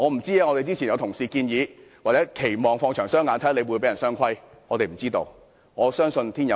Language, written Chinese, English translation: Cantonese, 正如之前有同事建議，我們可以放長雙眼，看看他會不會被人"雙規"，我相信天有眼。, As advised by certain Members earlier we should wait and see whether he will be detained and interrogated one day . I believe that justice will prevail